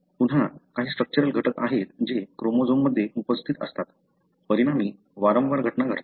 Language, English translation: Marathi, So, again there are some structural elements that are present in the chromosome, resulting in recurrent events